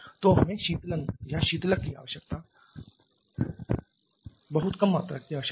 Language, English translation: Hindi, So, we need much lesser amount of cooling requirement or coolant requirement